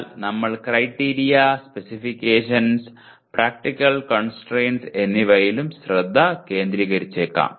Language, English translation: Malayalam, But we may also focus on Criteria and Specifications and Practical Constraints